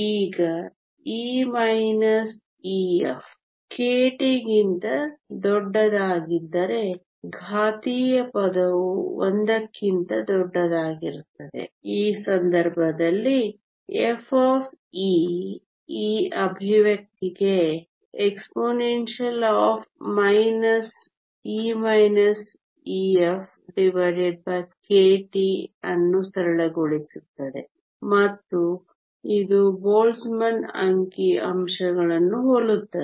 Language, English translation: Kannada, Now if e minus e f is much larger than k t then the exponential term will be much larger than 1 in which case f of e will simplify to this expression exponential minus e minus e f over k t and this resembles the Boltzmann statistics